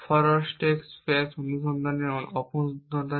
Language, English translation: Bengali, What is the drawback of forward stack space search